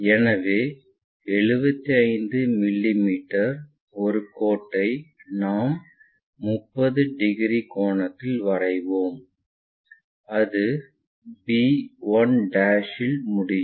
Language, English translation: Tamil, So, the 75 mm a line we will draw at 30 degree angle and it stops call that 1 b 1'